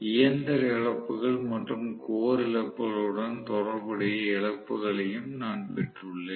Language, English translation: Tamil, I have also got the losses which are corresponding to mechanical losses and core losses